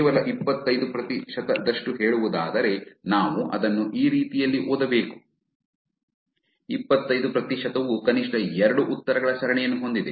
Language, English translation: Kannada, Only 25 percent so to say actually we should read it that way, the 25 percent have a chain of at least 2 replies